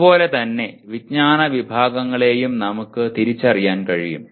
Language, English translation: Malayalam, And similarly we can also identify the knowledge categories